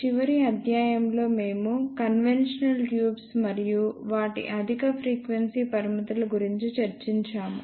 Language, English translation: Telugu, Hello, in the last lecture, we discussed conventional tubes and their high frequency limitations